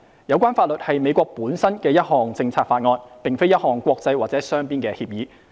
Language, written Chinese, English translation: Cantonese, 有關法律是美國本身的一項政策法案，並非一項國際或雙邊的協議。, The legislation is a policy act of the United States itself but not an international or bilateral agreement